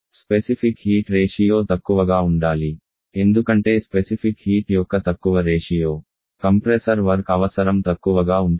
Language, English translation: Telugu, Ratio of specific it should be low because the lower the ratio of the specific heat the less will be the compressor work requirement